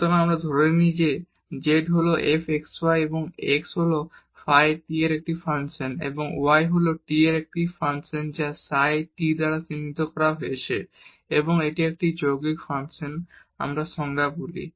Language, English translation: Bengali, So, we take that this z is equal to f x y and x is a function of phi t and y is a function of t as denoted by psi t and this is a composite function which we call as for the definition